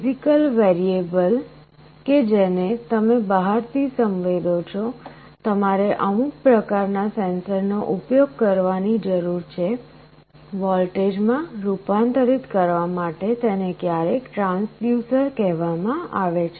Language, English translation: Gujarati, The physical variable that you are sensing from outside, you need to use some kind of a sensor, it is sometimes called a transducer to convert it into a voltage